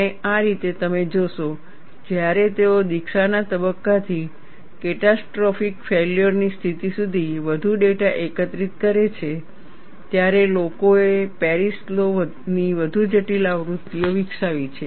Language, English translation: Gujarati, And that is how you would see, when they collect more data from the initiation stage to catastrophic failure state, people have developed more complicated versions of Paris law